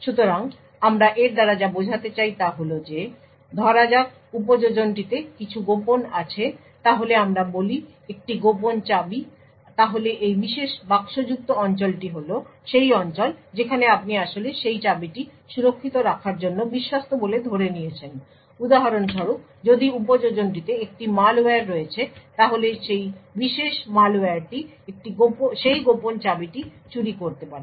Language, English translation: Bengali, So what we mean by this is that if let us say the application has something secret let us say a secret key then this particular boxed area are is the region which you actually assumed to be trusted in order to keep that key secure, for instance if there is a malware in the application then that particular malware could steal that secret key